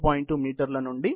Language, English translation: Telugu, 2 meters to as long as 1